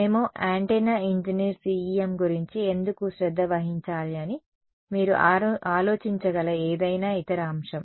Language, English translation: Telugu, Any other aspect you can think of why should us antenna engineer care about CEM